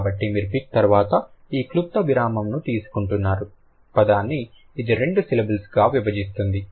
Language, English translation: Telugu, So, this brief purse that you are taking after pick that divides the word into two syllables